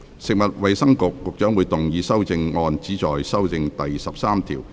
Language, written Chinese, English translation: Cantonese, 食物及衞生局局長會動議修正案，旨在修正第13條。, Secretary for Food and Health will move an amendment which seeks to amend clause 13